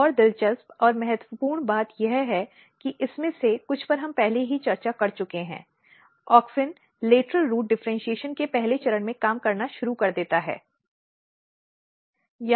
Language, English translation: Hindi, Another interesting and important thing this is some of this we have already discussed that, actually auxin starts working at a very very first step of the lateral root differentiation